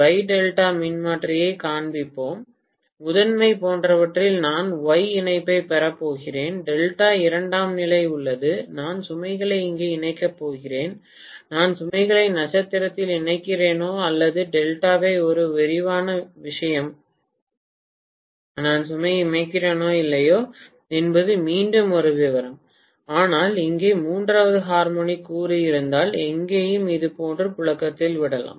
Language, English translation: Tamil, Let me just show the wye delta transformer, I am going to have the Y connection like this on the primary, delta is in the secondary, I am going to connect the load here, whether I connect the load in star or delta is a matter of detail, whether I connect the load at all not is a matter of detail, again, but, if there is third harmonic component here, here also it can circulate like this